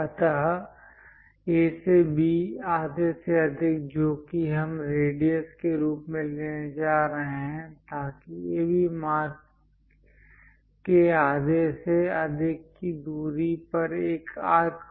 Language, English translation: Hindi, So A to B half of that greater than that we are going to pick as radius; so that one distance greater than half of AB mark arcs